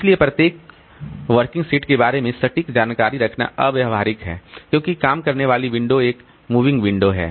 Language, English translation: Hindi, So, keeping the exact information about each working set is impractical since the working set window is a moving window